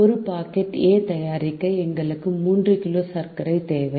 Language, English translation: Tamil, to make one packet of a, we need three kg of sugar